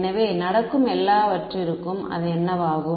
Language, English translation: Tamil, So, everything else that is going what happens to it